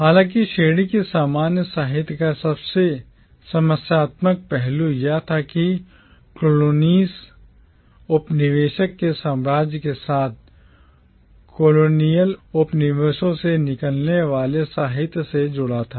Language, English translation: Hindi, However, the most problematic aspect of the category commonwealth literature was the way it connected the literature coming out of the colonies with the colonial empire